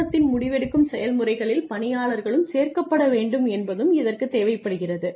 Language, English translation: Tamil, It also requires that employees be included in the decision making processes of the organization